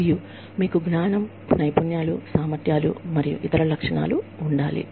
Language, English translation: Telugu, And, you have to, have the knowledge, skills, abilities, and other characteristics